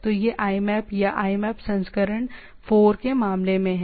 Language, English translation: Hindi, So, that is the part of this in case of a IMAP or IMAP version 4